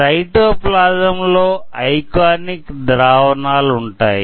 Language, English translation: Telugu, Cytoplasm has ionic solutions inside it